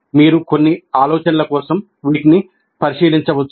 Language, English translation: Telugu, You can examine this for some of these ideas